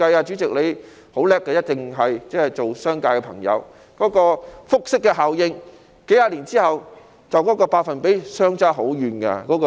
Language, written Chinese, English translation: Cantonese, 主席，你很厲害的，是商界人士，一定明白當中的複式效應，數十年後投資回報的百分比便會相差甚遠。, President you are shrewd and a member of the business sector so you will definitely understand the compound effect at play as the percentage of investment returns will differ greatly in a few decades time